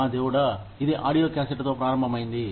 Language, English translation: Telugu, My god, it started with audio cassettes